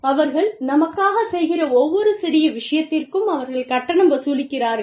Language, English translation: Tamil, They are charging us, for every little bit, that they are doing for us